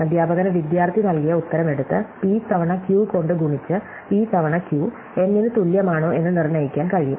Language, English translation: Malayalam, The teacher can just take the answer given by the student, multiply p times q and determine whether p times q is equal to N or not